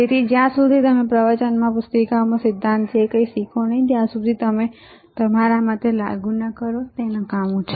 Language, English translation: Gujarati, So, until unless whatever you learn in theory in books in lectures, you do not apply according to me it is useless